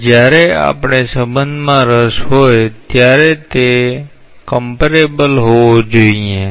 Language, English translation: Gujarati, Now, when we are interested about a relationship, they must be comparable